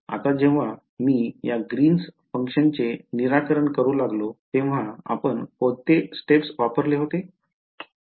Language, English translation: Marathi, Now when we went to solve for this Green’s function, what did we do the steps briefly